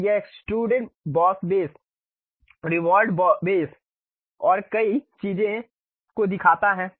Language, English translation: Hindi, Then it shows something like extruded Boss Base, Revolved Base and many things